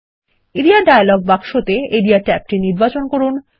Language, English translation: Bengali, In the Area dialog box, select the Area tab